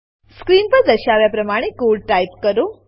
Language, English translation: Gujarati, Type the following piece of code as shown